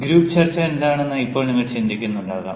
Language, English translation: Malayalam, now you might be thinking: what is group discussion